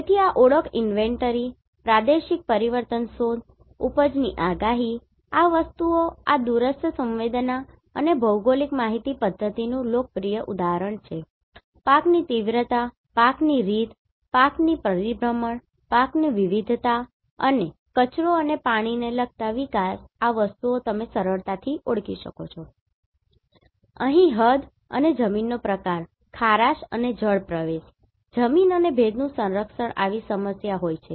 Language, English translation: Gujarati, So identification inventory, regional change detection, yield forecast, these things are very popular example of this remote sensing and GIS, crop intensification, crop pattern, crop rotation, crop diversity, so these things you can easily identify wasteland and water said development